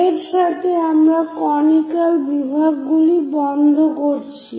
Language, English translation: Bengali, In this, we are completing the Conic Sections part